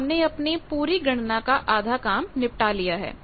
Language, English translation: Hindi, So, we have done half of our measurement part or calculation part